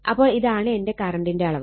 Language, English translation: Malayalam, So, this is my current magnitude